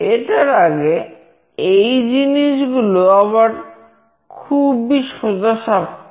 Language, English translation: Bengali, Prior to that these are again straightforward things